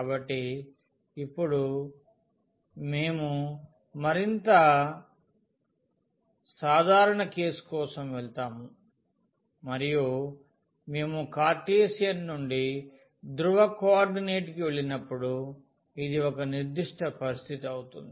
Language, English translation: Telugu, So, now, we will go for a more general case and this will be a particular situation when we go from Cartesian to polar coordinate